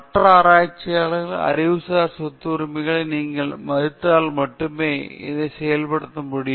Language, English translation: Tamil, And this can be done only if you respect intellectual property rights of other researchers